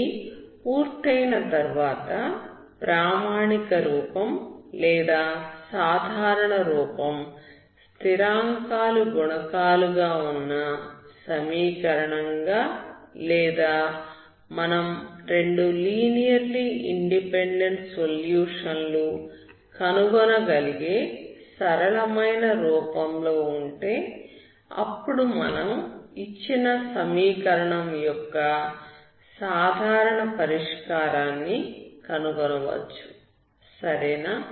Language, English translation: Telugu, Once it is done then if the normal form or standard form becomes an equation with constant coefficient or in a simpler form for which you can find the two linearly independent solutions, then you can find the general solution of the given equation, okay